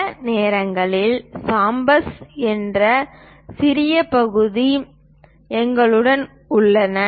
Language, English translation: Tamil, Sometimes, we have small portions named chamfers